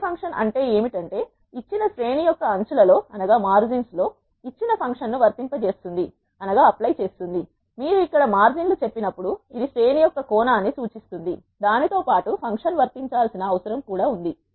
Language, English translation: Telugu, What apply function does is applies a given function over a margins of a given array, when you say margins here this refers to the dimension of an array along which the function need to be applied